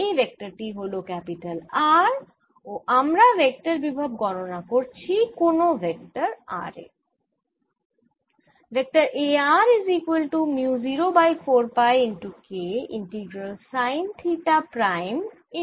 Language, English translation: Bengali, this vector is r and i am calculating the vector potential at sum vector r